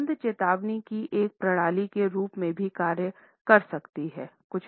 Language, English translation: Hindi, A smell can also act as a system of warning